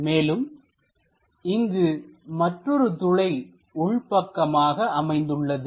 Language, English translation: Tamil, And there is one more cut inside of that